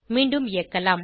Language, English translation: Tamil, Lets run again